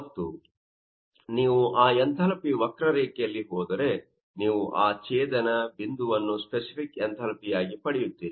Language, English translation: Kannada, And if you go for that to that enthalpy curve, then you will get that intersection point as a specific enthalpy and also these intersection points